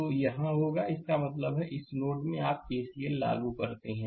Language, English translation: Hindi, So, it will be your; that means, in this node you apply K C L